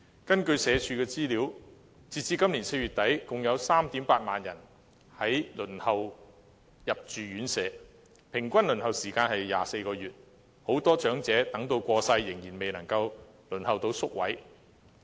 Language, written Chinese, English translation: Cantonese, 根據社會福利署的資料，截至今年4月底，共有 38,000 人輪候入住院舍，平均輪候時間為24個月，很多長者等到過世仍然未能得到宿位。, According to the information from the Social Welfare Department as at end - April this year 38 000 persons are waiting for residential care homes . Given an average waiting time of 24 months many elderly persons cannot get a place before he or she passes away